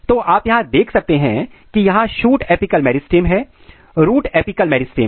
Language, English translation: Hindi, This is because of the activity of shoot apical meristem here and root apical meristem here